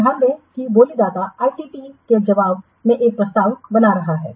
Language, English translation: Hindi, So, note that the bidder is making an offer in response to ITT